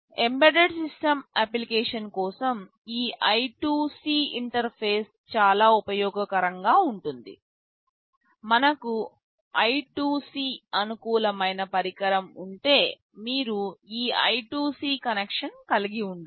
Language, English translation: Telugu, For embedded system application this I2C interface can be very useful, if we have a device that is I2C compatible then you have to have this I2C connection